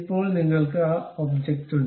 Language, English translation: Malayalam, Now, you have that object